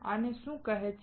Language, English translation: Gujarati, What is this called